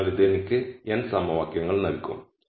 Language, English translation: Malayalam, So, this will just give me n equations